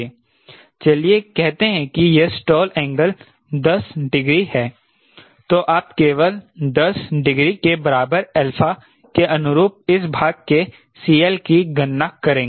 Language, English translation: Hindi, so lets say its stall angle is ten degrees, then you only, we will calculate c l of this portion corresponding to alpha equal to ten degree